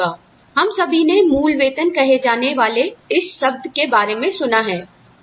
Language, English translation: Hindi, We have all heard, about this term called, basic pay